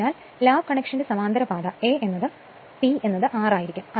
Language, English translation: Malayalam, So, therefore, for lap connection parallel path will be A is equal to P is equal to 6 right